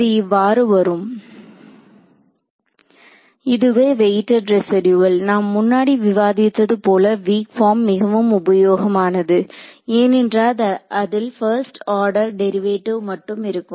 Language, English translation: Tamil, So, this was weighted residual and this is and as we discussed earlier this weak form is useful because it involves only first order derivatives